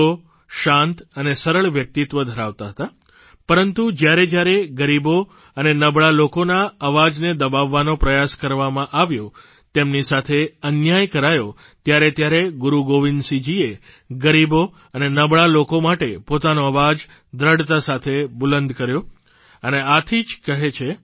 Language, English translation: Gujarati, He was bestowed with a quiet and simple personality, but whenever, an attempt was made to suppress the voice of the poor and the weak, or injustice was done to them, then Guru Gobind Singh ji raised his voice firmly for the poor and the weak and therefore it is said